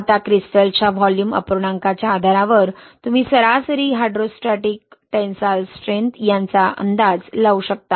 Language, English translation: Marathi, Now, based on the volume fraction of crystals, you can estimate this, average hydrostatic tensile strength